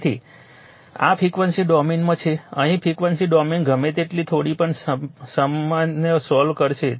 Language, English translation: Gujarati, So, this is in the frequency domain here will solve all the problem in whatever little bit in frequency domain